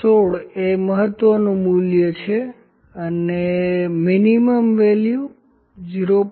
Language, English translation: Gujarati, 16 is the maximum value and the minimum value is 0